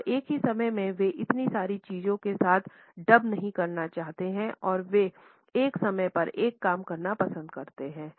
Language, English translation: Hindi, And at the same time they do not want to dabble with so many things simultaneously and they prefer to do one thing at a time